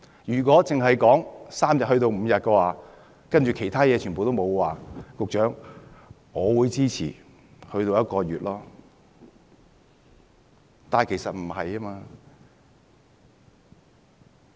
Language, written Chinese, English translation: Cantonese, 如果只是由3天增至5天而其他情況不變，局長，我會支持將侍產假增至1個月。, Secretary if it is just about extending paternity leave from three days to five days with other things kept unchanged I will even support an extension to one month